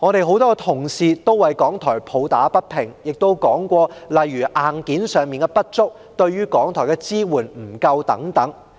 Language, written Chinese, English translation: Cantonese, 很多同事為香港電台抱打不平，亦提及例如硬件上的不足、對港台的支援不足等。, Many Honourable colleagues have spoken up against the injustice done to Radio Television Hong Kong RTHK and mentioned such deficiencies as the lack of hardware and support for RTHK